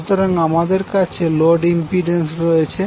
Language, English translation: Bengali, So, we have load impedance as given